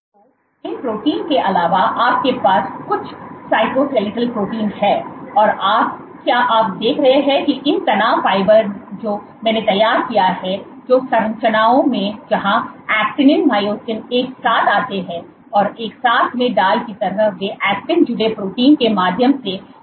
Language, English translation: Hindi, So, apart from these proteins you have some cytoskeletal proteins, which you see is these stress fibers what I have drawn are structures, where actinin myosin come together and these stress fibers are also put together in like they stay in place through actin associated proteins